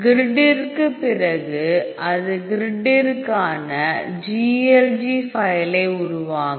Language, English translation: Tamil, So, after grid it will create the GLG file for the grid